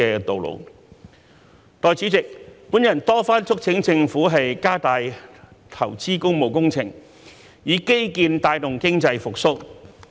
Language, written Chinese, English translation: Cantonese, 代理主席，我多番促請政府加大投資工務工程，以基建帶動經濟復蘇。, Deputy President I have repeatedly urged the Government to invest more in public works projects and drive economic recovery through infrastructure development